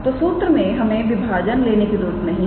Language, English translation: Hindi, So, in the formula we do not have to take a division